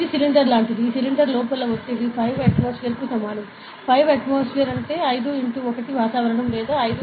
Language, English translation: Telugu, So, it is like a cylinder, this cylinder has a pressure inside is equal to 5 atmosphere; 5 atmosphere is nothing but 5 into 1 atmosphere or 5 into 101